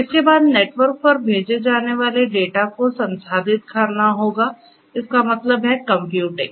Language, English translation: Hindi, Thereafter, the data that is sent over the network will have to be processed right will have to be processed; that means, computing